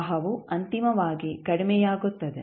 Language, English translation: Kannada, The current will eventually die out